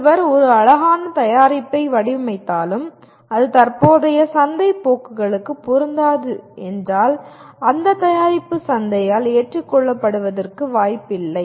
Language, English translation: Tamil, Even if one designs a beautiful product and it is not relevant to the current market trends, the product has no chance of getting accepted by the market